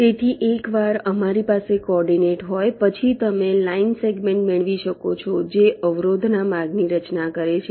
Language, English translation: Gujarati, ok, so once we have the coordinate, you can get the line segments that constitute the, the path of the obstacles